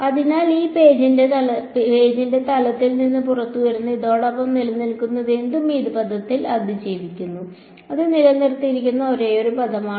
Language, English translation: Malayalam, So, whatever survives along this that is coming out of the plane of this page is surviving in this term that is the only term that is retained ok